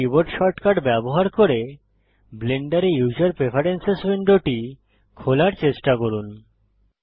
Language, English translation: Bengali, Now try to open the user preferences window in Blender using the keyboard shortcut